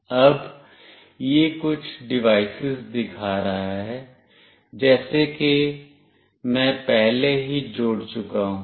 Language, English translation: Hindi, Now, it is showing that there are some devices, as I have already connected previously